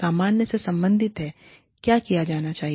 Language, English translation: Hindi, Normative relates to, what should be done